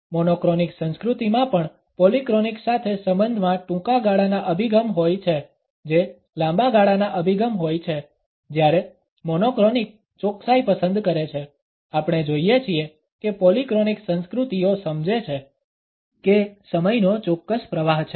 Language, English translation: Gujarati, Monochronic culture also has a short term orientation in relation with a polychronic which is a long term orientation whereas, monochronic prefers precision we find that the polychronic cultures understand the time has a particular flow